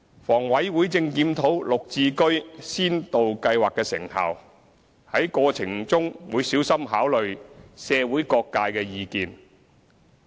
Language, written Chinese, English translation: Cantonese, 房委會正檢討"綠置居"先導計劃的成效，在過程中會小心考慮社會各界的意見。, HA is conducting a review of the effectiveness of the GHS Pilot Scheme and will carefully consider the views from various sectors of the community in the process